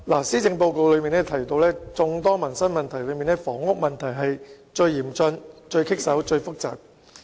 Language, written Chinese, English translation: Cantonese, 施政報告提到，在眾多民生議題中，房屋問題是最嚴峻、最棘手、最複雜的。, Policy Address states that among all livelihood issues the housing problem is the most challenging formidable and complex